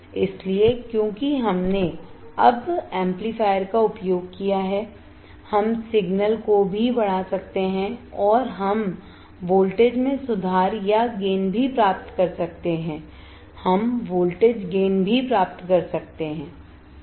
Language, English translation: Hindi, So, because we have now used the amplifier, we can also amplify the signal and we can also improve or gain the voltage, we can also introduce the voltage gain